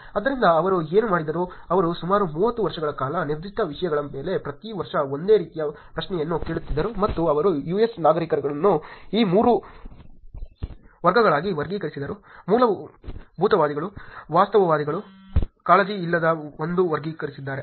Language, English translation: Kannada, So, what he did was, he kind of asked the same question every year on specific topics for about 30 years or so, and he kind of classifed the US citizens into these 3 categories; fundamentalists, pragmatists, unconcerned